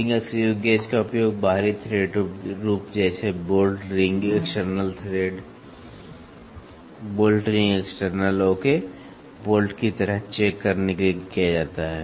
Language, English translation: Hindi, The rings screw gauge they are used to check the external thread form like bolt ring external, ok, like bolt